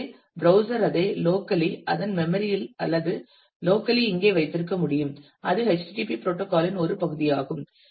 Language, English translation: Tamil, So, the browser can keep it as a I mean locally in its memory or locally here and that is a part of the http protocol